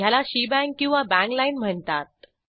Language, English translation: Marathi, It is called as shebang or bang line